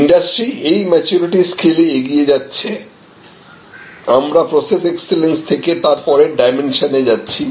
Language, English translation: Bengali, So, the industry is moving on this maturity scale, but from process excellence we are going to the next dimension